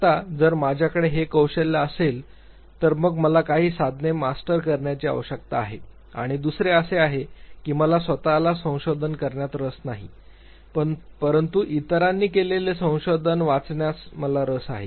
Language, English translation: Marathi, Now if I have that knack, then I need to master certain tools and second could be what I am not interested in doing research myself, but I am definitely interested reading the research done by others